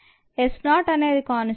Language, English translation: Telugu, s naught is a constant